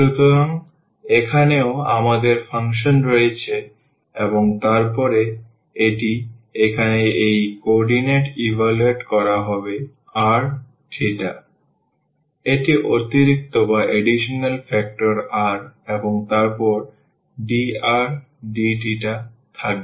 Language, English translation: Bengali, So, here also we have the function and then that will be evaluated r at this coordinate here r theta, and they will be additional factor r and then dr d theta